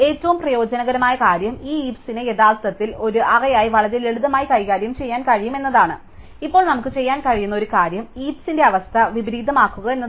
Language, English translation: Malayalam, And what is most useful is that this heap can actually be manipulated very simply as an array, now one thing which we can do is to invert the heap condition